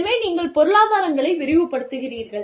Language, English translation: Tamil, So, you expand, the economies of scale